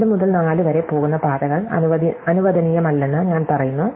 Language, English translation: Malayalam, I am saying, that paths going 2 to 4 are not allowed